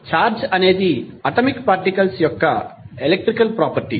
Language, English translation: Telugu, Charge is an electrical property of atomic particle of which matter consists